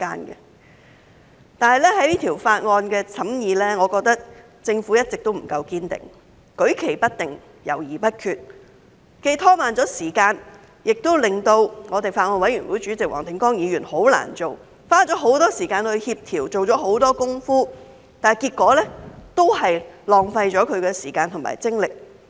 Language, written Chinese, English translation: Cantonese, 不過，在審議《條例草案》的過程中，我認為政府一直不夠堅定，舉棋不定，猶豫不決，既拖慢了時間，也令法案委員會主席黃定光議員十分難做，即使他花了很多時間協調、做了很多工夫，但結果都是浪費了他的時間和精力。, However in the course of the scrutiny of the Bill I think the Government has not been determined enough . Being ambivalent and indecisive it has delayed the process and put Mr WONG Ting - kwong the Chairman of the Bills Committee in a very difficult position . Though he spent a lot of time on coordination and made a lot of efforts the time and efforts made ended in vain